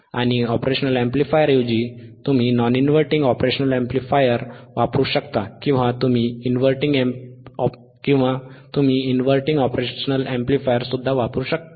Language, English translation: Marathi, And instead of ian op amp, you can use non inverting operational amplifier or you can use the inverting operational amplifier